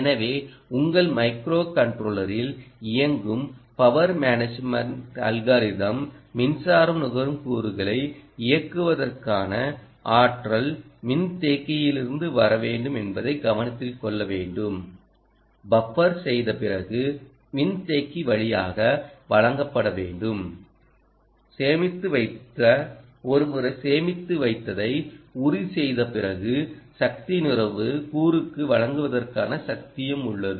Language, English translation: Tamil, so power management algorithm that is running on your micro controller will have to note that the energy for driving ah power consuming components will have to come from the capacitor, will have to be delivered through the capacitor after buffering, after storing and ensuring that once its stored it has the power and power to deliver for the power consuming component